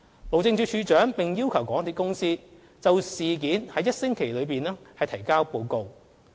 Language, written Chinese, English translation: Cantonese, 路政署署長並要求港鐵公司在1星期內就事件提交報告。, The Director of Highways also demanded MTRCL to submit a report on the incident within a week